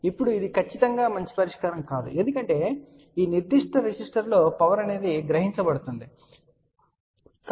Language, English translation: Telugu, Now, this is definitely a definitely a not a good solution because the power will be absorbed in this particular resister